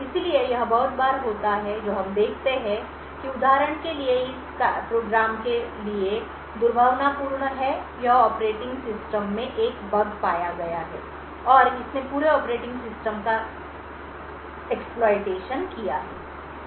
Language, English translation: Hindi, So, this occurs quite often what we see is that for example for this program is malicious it has found a bug in the operating system and it has created and exploit and has compromise the entire operating system